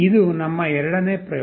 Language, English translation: Kannada, This is our second experiment